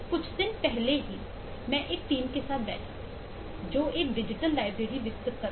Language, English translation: Hindi, just eh, couple of days back I have been sitting with a team to develop eh who are developing a digital library